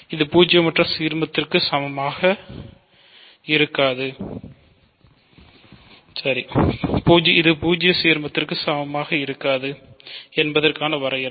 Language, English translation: Tamil, This is the definition of not being equal to the zero ideal